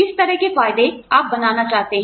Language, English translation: Hindi, What kind of benefits, you want to design